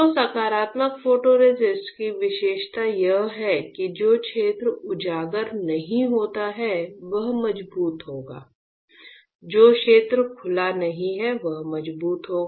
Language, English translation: Hindi, So, the characteristics of the positive photoresist is that the area which is not exposed will be stronger; area which is not which not exposed will be stronger